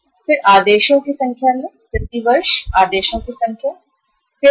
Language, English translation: Hindi, So number of orders we are having, number of orders per year, number of orders per year are going to be how much